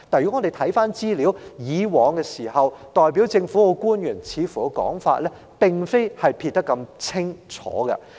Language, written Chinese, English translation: Cantonese, 然而，回看資料，以往代表政府的官員的說法並無如此清楚地撇除關係。, Yet when we check the old information government officials speaking on the behalf of the Government in the past had not presented this attitude of dissociation